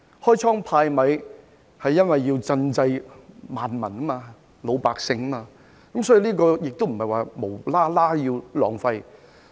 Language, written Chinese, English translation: Cantonese, 開倉派米是要賑濟萬民、老百姓，這不是無故浪費金錢。, Dishing out relief measures is to provide relief to the civilians which is not wasting money without reason